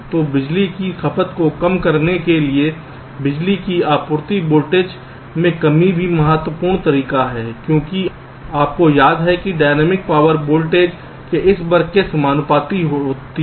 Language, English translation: Hindi, so reduction of power supply voltage is also very, very important way to reduce the power consumption because, you recall, dynamic power is proportional to this square of the voltage